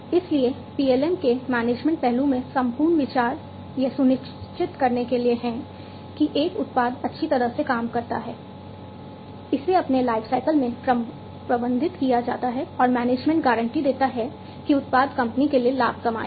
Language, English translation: Hindi, So, the whole idea in the management aspect of PLM is to ensure that a product works well, it is managed across its lifecycle and the management guarantees that the product will earn the profit for the company